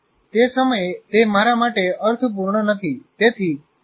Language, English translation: Gujarati, It doesn't make meaning to me at that point of time